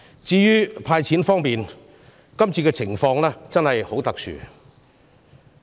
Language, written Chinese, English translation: Cantonese, 至於"派錢"措施方面，今次的情況真的很特殊。, Regarding cash handout measures the circumstances are really exceptional this time